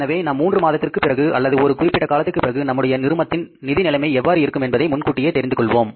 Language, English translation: Tamil, So, we know it in advance that what is going to be the financial position of the company at the end of the three months or at the end of the given quarter